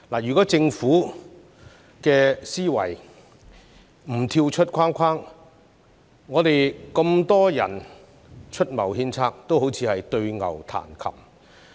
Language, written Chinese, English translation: Cantonese, 如果政府的思維不跳出框框，我們這麼多人出謀獻策，也只會像對牛彈琴。, If the Government does not think outside the box the many of us giving advice are tantamount to talking to the wall